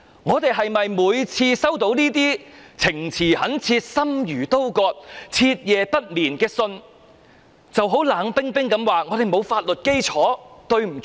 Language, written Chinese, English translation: Cantonese, 我們是否每次收到這些情詞懇切，令人心如刀割、徹夜不眠的信都冷冰冰地說，我們沒有法律基礎，對不起？, Every time we receive letters filled with impassioned and heart - wrenching pleas that keep us awake the whole night can we apologize and respond coldly that we have no legal basis to do anything?